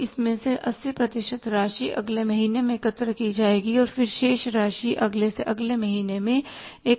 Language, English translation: Hindi, So out of this 70% of this will be collected in the next month and then remaining amount will be collected in the next to next month